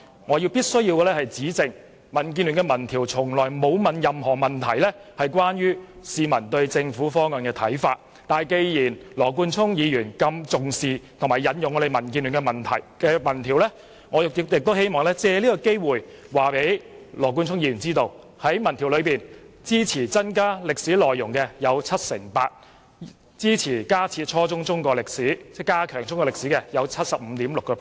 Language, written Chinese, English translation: Cantonese, 我必須指正，民建聯的民調從來沒有提出任何有關市民對政府方案看法的問題，但既然羅冠聰議員如此重視及引用民建聯的民調，我亦希望藉此機會告訴他，根據該項民調，有 78% 的受訪者支持增加中史課程內容，並有 75.6% 的受訪者支持在初中階段加強中史教育。, I must point out the mistake of this remark . DAB has never in its opinion poll asked the respondents for their views on the Governments proposals . Since Mr Nathan LAW has held DABs opinion poll in high regard and cited its finding I would like to take this opportunity to inform him according to the opinion poll 78 % of the respondents supported increasing the contents of the Chinese History curriculum and 75.6 % of the respondents support strengthening Chinese history education at junior secondary level